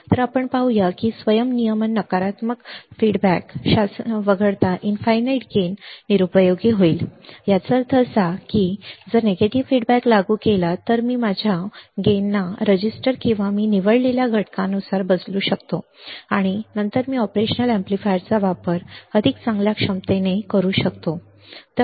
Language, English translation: Marathi, So, let us see infinite gain would be useless except in self regulated negative feedback regime except in self regulated negative feedback regime; that means, if I apply negative feedback, then I can tweak my gain according to the registers or the components that I select and then I can use the operational amplifier in much better capability or capacity